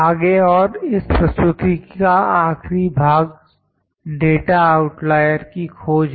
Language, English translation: Hindi, Next and the last part in this presentation is data outlier detection